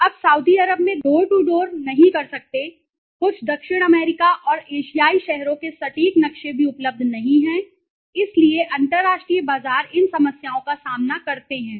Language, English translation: Hindi, You cannot do a door to door in Saudi Arabia right, no accurate maps of some south America and Asian cities even available, so international markets these problems one faces